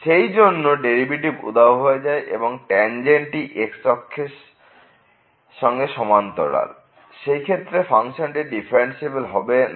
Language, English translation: Bengali, So, the derivative vanishes or the tangent is parallel to the x axis in this case though the function was not differentiable here